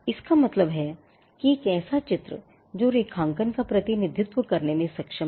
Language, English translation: Hindi, It means a mark capable of being represented graphically